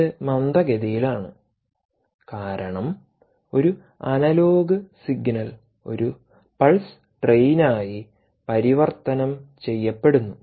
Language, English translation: Malayalam, its slow because the analogue signal to a pulse train, to a pulse, is converted to a